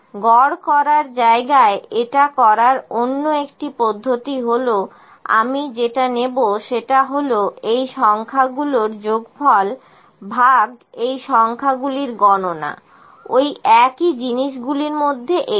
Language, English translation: Bengali, Another way to do it is in place of average I would better put this is equal to sum of these numbers divided by count of these numbers actually which is a one of the same thing